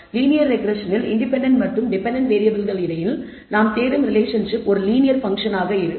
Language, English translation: Tamil, Linear regression the relationship that we seek between the dependent and the independent variable is a linear function